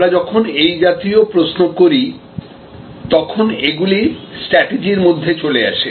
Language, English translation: Bengali, When we raise such questions, we are in the realm of strategy